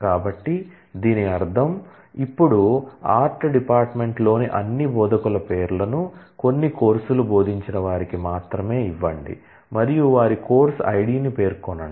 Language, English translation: Telugu, So, which means this will now, give the names of all instructors in the art department only who have taught some course and specify their course id